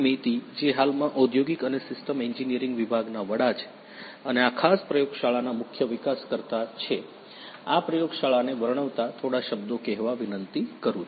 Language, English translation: Gujarati, So, I now request Professor J Maiti who is currently the head of Industrial and Systems Engineering department and also the principal developer of this particular lab to say a few words describing this lab